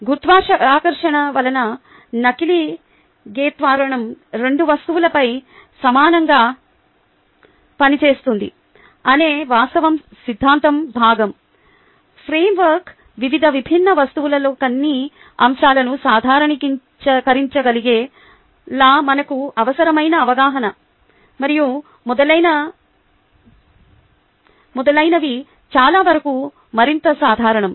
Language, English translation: Telugu, the fact that the acceleration due to gravity acts equally on both objects is the theory part, is the framework, the understanding that is necessary for us to be able to generalize some aspect across ah, various different, various different objects and so on, so forth, to make it a lot more general